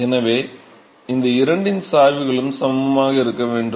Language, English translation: Tamil, So, the gradients of these two have to be equal